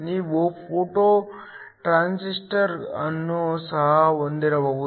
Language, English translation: Kannada, You could also have a photo transistor